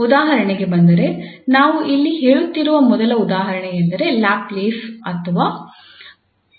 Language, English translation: Kannada, So coming to the example, the first example we are stating here that is the Laplace or the Poisson equation